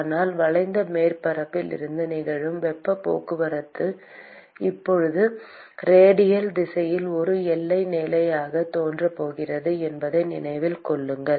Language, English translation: Tamil, But keep in mind that the heat transport that is occurring from the curved surface is now going to appear as a boundary condition in the radial direction